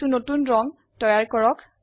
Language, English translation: Assamese, Create some new colors